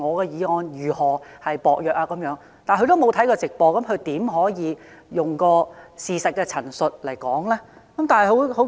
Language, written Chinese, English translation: Cantonese, 如果他沒有看過直播，他又怎可以用事實的陳述來作反駁理據呢？, If he has not watched the video clips of Dr CHENGs live streams how can he make a counter argument with factual statements?